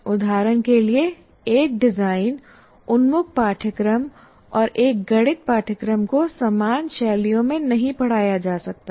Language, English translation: Hindi, For example, a design oriented course and a mathematics course cannot be taught in similar styles